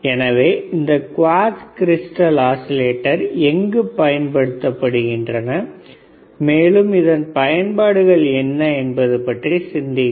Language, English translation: Tamil, So, think about where this quartz crystal oscillators are used, and what are the applications are what are the applications of quartz crystal oscillator and